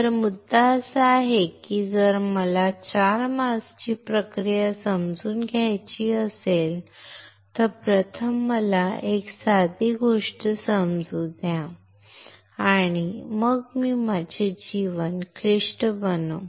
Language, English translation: Marathi, So, the point is if I want to understand a 4 mask process first let me understand a simple thing and then I make my life more complicated, all righ